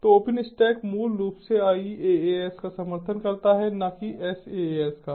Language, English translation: Hindi, so openstack basically supports ias and not a saas or paas